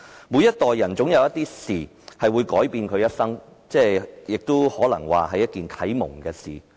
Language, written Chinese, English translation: Cantonese, 每一代人總有一些事情會改變其一生，亦可能有啟蒙他們的事。, There must be some incidents that change the life of people in every generation or there must be some incidents that inspire them